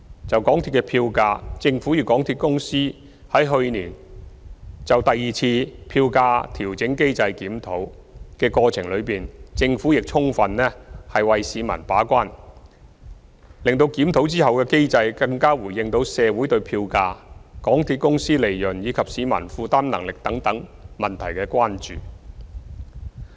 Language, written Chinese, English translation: Cantonese, 就港鐵票價，政府與港鐵公司於去年就第二次票價調整機制檢討的過程中，政府充分為市民把關，使檢討後的機制更回應到社會對票價、港鐵公司利潤，以及市民負擔能力等問題的關注。, As regards MTR fares the Government and MTRCL fully performed their gate - keeping roles for the public during the second review of the Fare Adjustment Mechanism last year so that the mechanism after the review is more responsive to the communitys concerns about such issues as fares MTRCLs profit and the publics affordability